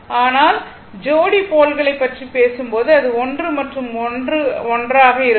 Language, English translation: Tamil, But when you are talking about pair of poles, it is 1 and 1 together